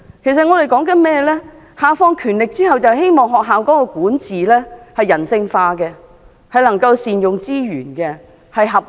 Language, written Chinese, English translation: Cantonese, 教育局下放權力後，我們希望學校的管治人性化，能夠善用資源和處事合理。, We hope that through the devolution of power by the Education Bureau school administration will become more humanized with optimal use of resources and reasonable practices